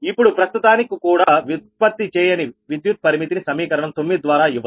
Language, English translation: Telugu, now, also, for the time being, do not consider generated power limits given by equation nine